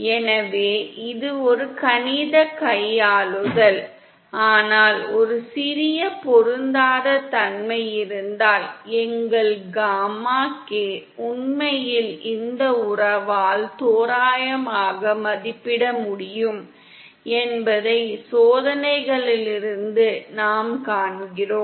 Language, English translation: Tamil, So it’s a mathematical manipulation, but since we see from experiments that if there is a small mismatch, our gamma k indeed can be approximated by this relationship